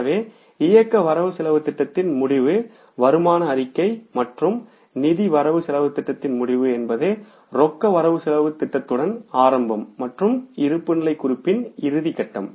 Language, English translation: Tamil, So, end of the operating budget is the income statement and end of the financial budget is the beginning is with the cash budget and end is with the balance sheet